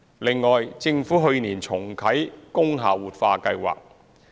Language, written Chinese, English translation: Cantonese, 另外，政府去年重啟工廈活化計劃。, Besides the Government reactivated the revitalization scheme for industrial buildings last year